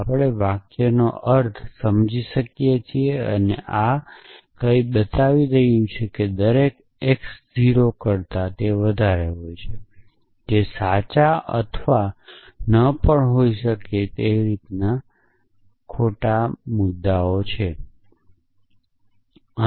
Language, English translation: Gujarati, So, we can understand the meaning of the sentence and this is saying that every x is greater than 0, which may or may not be true or which is not true, but that that is not the point